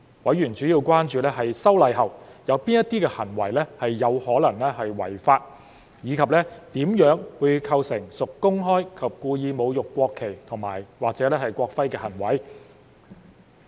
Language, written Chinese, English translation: Cantonese, 委員主要關注在修例後，有哪些行為是有可能違法，以及怎樣會構成屬公開及故意侮辱國旗或國徽的行為。, They are mainly concerned about what behaviours could be in violation of the law after the legislative amendment and what behaviours will constitute publicly and intentionally desecrating the national flag or national emblem